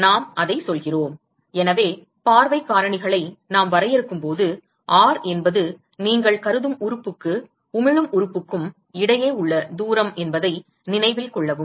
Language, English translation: Tamil, So, let us say that; so, note that when we define the view factors R is the distance between the element that you are considering and the emitting element